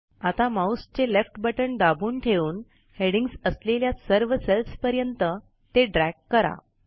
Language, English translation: Marathi, Now hold down the left mouse button and drag it along the cells containing the headings